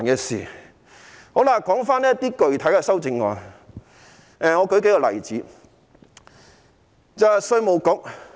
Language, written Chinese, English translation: Cantonese, 說回具體修正案，我列舉數個例子。, Back to the specific amendments I would like to cite a few examples . Amendments No